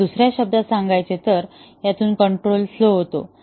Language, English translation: Marathi, Or in other words, the way control flows through the program